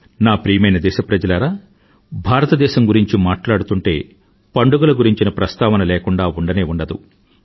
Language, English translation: Telugu, My dear countrymen, no mention of India can be complete without citing its festivals